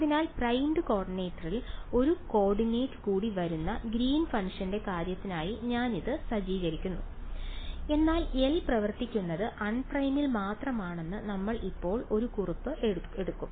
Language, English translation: Malayalam, So, I am setting it up for the case of the greens function where one more coordinate comes in the prime coordinate ok, but we will just make a note now that L acts on unprimed only